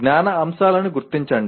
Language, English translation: Telugu, Just identify the knowledge elements